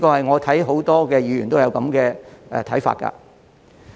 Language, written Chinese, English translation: Cantonese, 我看到很多議員都有這個看法。, I notice that many Members echo this view